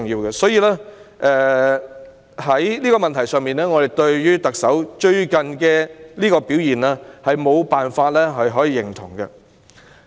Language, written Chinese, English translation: Cantonese, 因此，在這個問題上，我們對特首近日的表現無法予以認同。, Hence on this issue we cannot approve of the Chief Executives performance lately